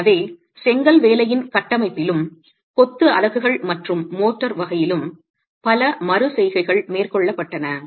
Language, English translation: Tamil, So, several iterations were carried out in the configuration of the brickwork and the type of masonry units and motor as well